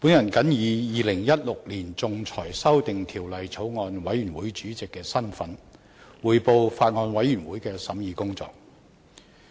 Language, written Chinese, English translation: Cantonese, 代理主席，本人謹以《2016年仲裁條例草案》委員會主席的身份，匯報法案委員會的審議工作。, Deputy President in my capacity as Chairman of the Bills Committee on Arbitration Amendment Bill 2016 I report on the deliberations of the Bills Committee